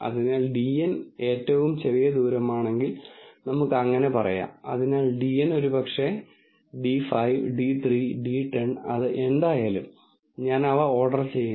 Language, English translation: Malayalam, So, let us say if dn is the smallest distance, so dn maybe d 5, d 3, d 10, whatever it is, so I order them